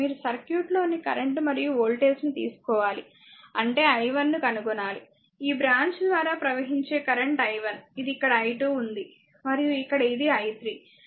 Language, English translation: Telugu, And you have to you have to your what you call you have to find out the current and voltage is in the circuit; that means, you have to find out your i 1 I ah this current through this branch is i 1, this is here here it is i 2 and here it is your i 3, right